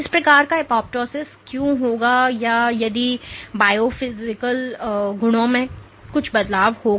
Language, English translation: Hindi, Why would this cell kind of apoptosis and if there is some change in the biophysical properties